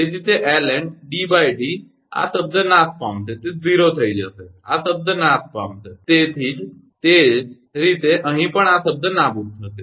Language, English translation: Gujarati, So, it will become D upon D this term vanish, it will become 0, this term will vanish, similarly here also this term Vanish